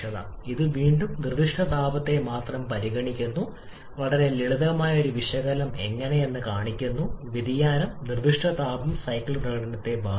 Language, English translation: Malayalam, This is again only considering the specific heat, a very simple analysis just show how the variation is specific heat can affect the cycle performance